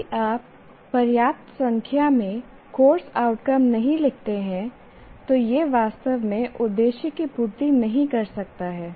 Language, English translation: Hindi, So, if you do not write enough number of course outcomes, it may not really serve much purpose